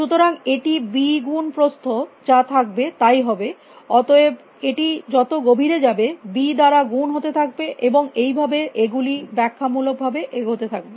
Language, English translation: Bengali, So, it will become b into whatever the width of that was, and therefore, it multiplies by b as if goes down deeper and deeper and therefore, these goes exponentially